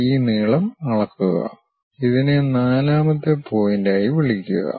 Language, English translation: Malayalam, Measure this length call this one as 4th point